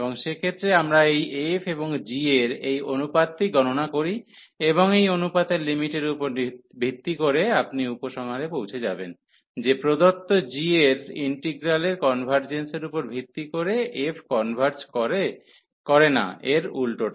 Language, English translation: Bengali, And in that case, we compute this ratio of his f and g and based on the limit of this ratio you will conclude, whether the f converges for given the convergence of the integral of g or other way round